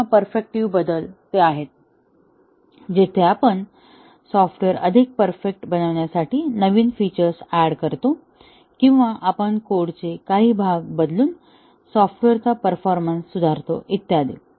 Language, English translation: Marathi, and perfective changes are those, where we add new features to make the software more perfect or we improve the performance of the software by changing some parts of the code and so on